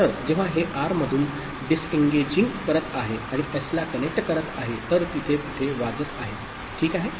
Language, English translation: Marathi, So, when it is disengaging from R and connecting to S, so there is a ringing over there, ok